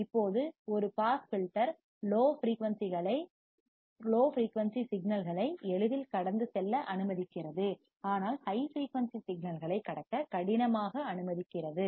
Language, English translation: Tamil, Now, a pass filter allows easy passage of low frequent signals, but difficult passage of high frequency signals